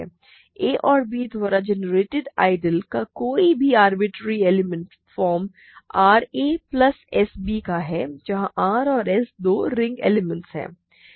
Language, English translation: Hindi, Any arbitrary element of the ideal generated by a and b is of the form r a plus s b where r and s are two ring elements